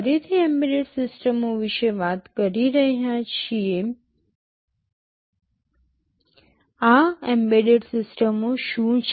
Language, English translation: Gujarati, Talking about embedded systems again, what are these embedded systems